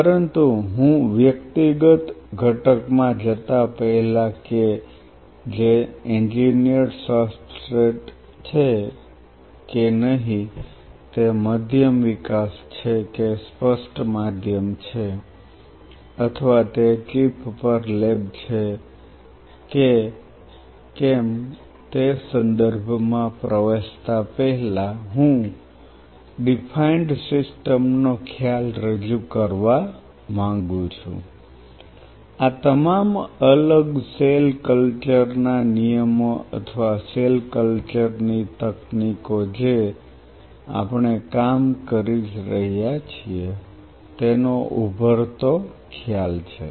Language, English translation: Gujarati, But before I get into the individual component in terms of whether it is an engineered substrate, whether it is a medium development or a defined medium or whether it is a lab on a chip I want to introduce the concept of defined system, this is the emerging concept of all the different cell culture rules or cell culture techniques we are working